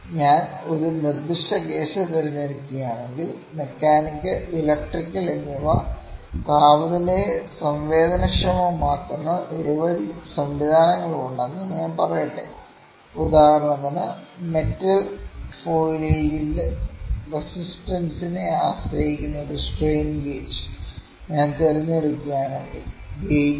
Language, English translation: Malayalam, If I pick a specific case, let me say there are many system both mechanical and electrical that can be sensitive to temperature, but for instance if I pick a strain gauge that depends upon the resistance of the metal foil, that makes the gauge the wire resistance depends upon the temperature